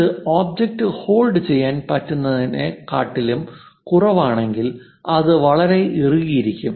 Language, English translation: Malayalam, If it is lower than that it may not hold the object, it will be very tight kind of thing